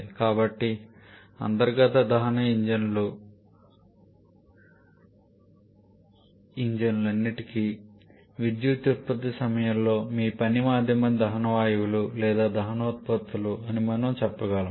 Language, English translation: Telugu, So, we can say that for all these internal combustion engine your working medium at the time of power production is the combustion gases or combustion products